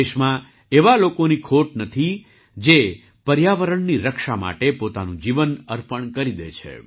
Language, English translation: Gujarati, There is no dearth of people in the country who spend a lifetime in the protection of the environment